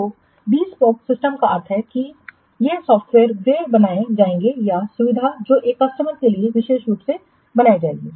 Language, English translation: Hindi, So, the bespoke system means this software they will be created or the facility, the service that will be created specially for one customer